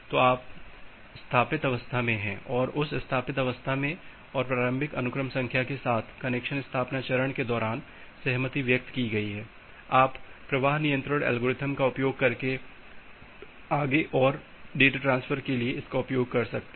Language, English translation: Hindi, So, you are at the established state and with that established state and the initial sequence number that has been agreed upon during the connection establishment phase; you can use that for further data transfer using your flow control algorithm